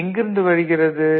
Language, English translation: Tamil, Where from it is coming